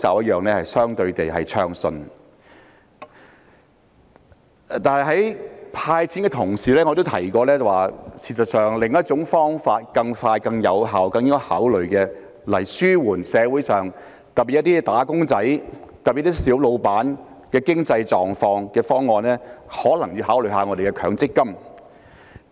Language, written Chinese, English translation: Cantonese, 可是，在"派錢"的同時，我也提過有另一種更快、更有效及更應該考慮的方案，可紓緩社會上特別是"打工仔"及小老闆的經濟狀況，那就是可能需要考慮一下強制性公積金計劃。, However to go in tandem with the distribution of cash handouts I have mentioned another more efficient effective and worth considering option that can alleviate the economic situation of some people in the community particularly wage earners and small proprietors . Namely it may be necessary to take the Mandatory Provident Fund MPF schemes into consideration